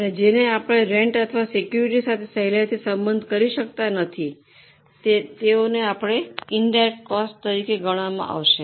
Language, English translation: Gujarati, And those which cannot be related very easily, like rent or like security security they would be considered as indirect costs